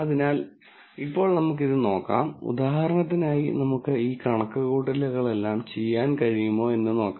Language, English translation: Malayalam, So, now let us look at this and then see whether we can do all these calculations for this example